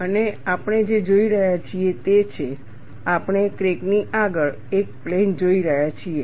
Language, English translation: Gujarati, And what we are looking at is, we are looking at a plane ahead of the crack